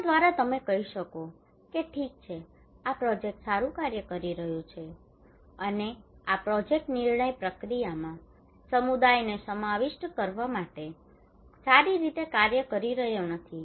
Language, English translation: Gujarati, Through which you can tell okay this project is working well, and this project is not working well to involving community into the decision making process